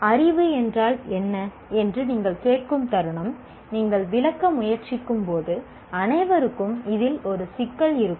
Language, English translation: Tamil, The moment you say what is knowledge, you try to explain that everyone will have an issue with that